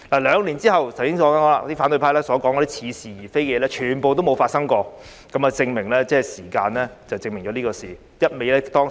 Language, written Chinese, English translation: Cantonese, 兩年後，正如我剛才所說，反對派所說的似是而非的事，全部都沒有發生，時間可證明一切。, Two years later as I just said all the paradoxical situations mentioned by the opposition camp did not happen at all . Time can prove everything